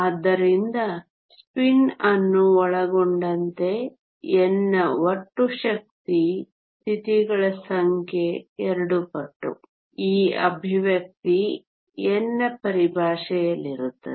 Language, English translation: Kannada, So, including spin the total number of energy state s of n is 2 times, this expression is in terms of n